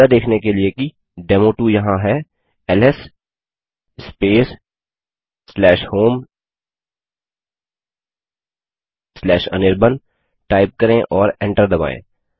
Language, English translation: Hindi, To see that the demo2 is there type ls space /home/anirban and press enter